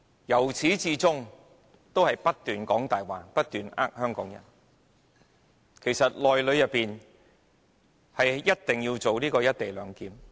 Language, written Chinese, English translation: Cantonese, 由始至終，政府也不斷說謊，不斷欺騙香港人，其實"一地兩檢"是必須實行的。, The Government has been telling a pack of lies to deceive Hong Kong people all the way through . In fact the co - location arrangement must be implemented